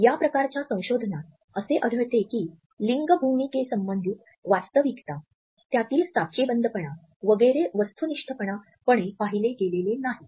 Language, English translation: Marathi, In these type of researches we would find that the true situation of gender roles, the stereotypes etcetera have not been objectively viewed